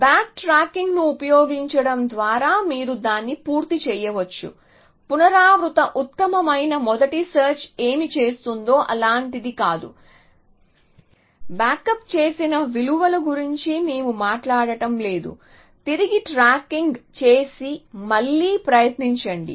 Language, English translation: Telugu, So, you can make it complete by introducing back tracking that a little bit like what recursive best for search would have done no we are not talking about the backed up values just back trucking and retry